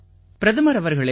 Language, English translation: Tamil, Prime Minister …